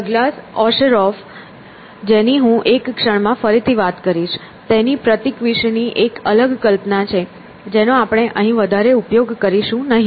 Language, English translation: Gujarati, So, Douglas Osheroff who I will talk about again in a moment has a different notion of a symbol which we will not peruse very much here